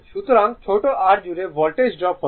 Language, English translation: Bengali, So, Voltage drop across small r is 5